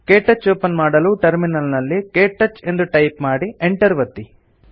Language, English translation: Kannada, To open KTouch, in the Terminal, type the command: ktouch and press Enter